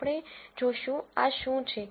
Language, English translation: Gujarati, We will see, what this is